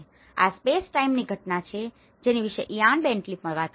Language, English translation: Gujarati, This is space time phenomenon which Ian Bentley also talks about it